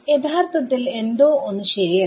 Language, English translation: Malayalam, Actually something is not right